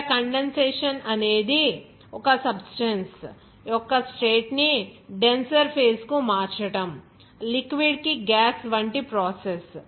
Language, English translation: Telugu, Here like condensation is the process, change in the state of a substance to a denser phase, such as a gas to a liquid